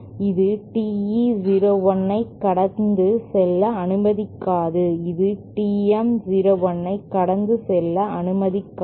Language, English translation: Tamil, And you can prove this that this will not allow TE 01 to pass through and this will not allow TM 01 to pass through